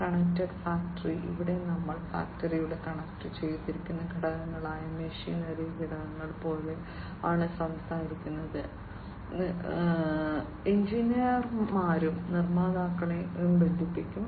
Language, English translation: Malayalam, Connected factory, here we are talking about connected components of the factory such as the machinery components, engineers will also be connected manufacturers will all be connected